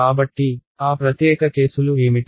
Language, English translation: Telugu, So, what are those special cases